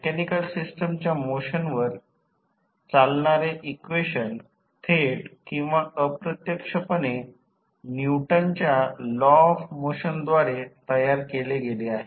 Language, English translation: Marathi, The equations governing the motion of mechanical systems are directly or indirectly formulated from the Newton’s law of motion